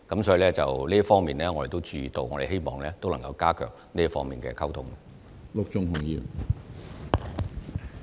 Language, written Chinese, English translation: Cantonese, 所以，這方面我們是有注意到的，亦希望能夠加強這方面的溝通工作。, So we do pay attention to this and hope we can strengthen the communication in this regard